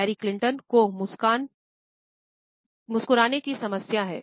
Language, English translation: Hindi, Hillary Clinton has a problem with smiling